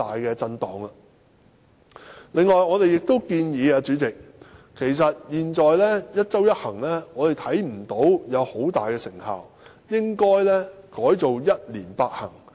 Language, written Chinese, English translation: Cantonese, 主席，由於我們看不到現時的"一周一行"具有很大成效，所以我們建議改為"一年八行"。, President since we see that the existing one trip per week measure is not producing obvious effect we propose to change it to eight trips per year